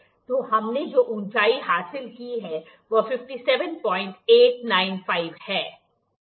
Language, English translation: Hindi, So, this is the height that we have achieved that is 57